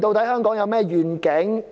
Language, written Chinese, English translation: Cantonese, 香港有何願景？, What is the vision for Hong Kong?